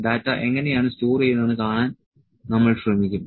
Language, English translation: Malayalam, So, we will try to see how the data is stored